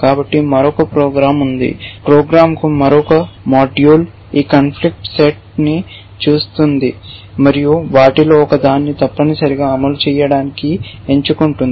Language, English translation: Telugu, So, there is another program, another module to the program which looks at this conflict set and picks one of them to fire essentially